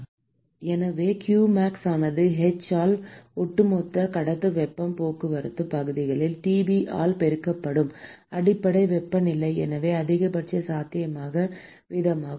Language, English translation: Tamil, So, therefore, qmax is simply given by h into the overall conductive heat transport area multiplied by Tb is the base temperature so the maximum possible rate